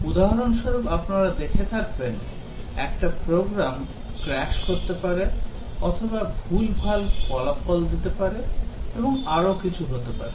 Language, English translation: Bengali, For example, you might see a program crash or wrong results and so on